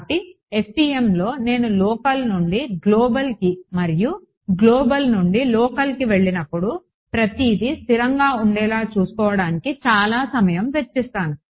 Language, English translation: Telugu, So, in FEM lot of time is spent on making sure that when I go from local to global and global to local everything is consistent ok